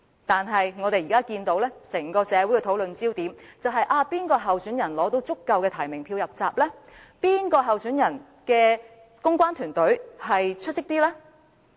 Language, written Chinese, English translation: Cantonese, 但是，現時整個社會的討論焦點，是哪位參選人取得足夠提名票"入閘"？哪位參選人的公關團隊比較出色？, However the discussions in the entire society are now focused on which aspirant can obtain enough nominations to run in the election and which aspirant has a stronger publicity team